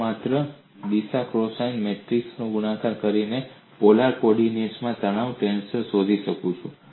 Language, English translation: Gujarati, I can find out the stress tensor in polarco ordinates by simply multiplying the direction cosine matrix